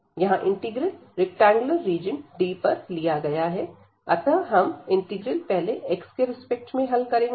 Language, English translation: Hindi, So, over such a rectangular region d A will be defined as so first we will compute the integral with respect to x